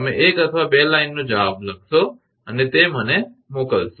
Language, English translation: Gujarati, You will write 1 or 2 line answer and you will send it to me